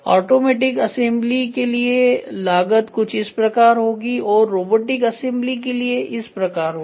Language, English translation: Hindi, This is how it is going to be for automatic assembly and for robotic assembly the cost is going to be something like this